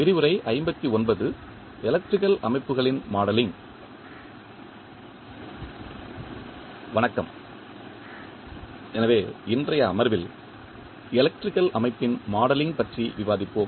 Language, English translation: Tamil, Namashkar, so, in today’s session we will discuss the modeling of electrical system